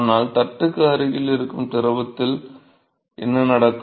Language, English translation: Tamil, But then what happens to the fluid which is close to the plate